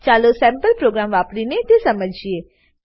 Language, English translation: Gujarati, Let us understand this using a sample program